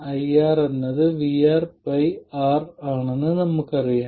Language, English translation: Malayalam, We know that IR is VR divided by R